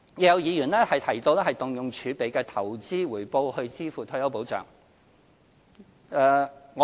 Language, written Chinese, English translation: Cantonese, 有議員提到動用儲備的投資回報以支付退休保障。, Members have talked about utilizing the investment returns of fiscal reserves to pay for retirement protection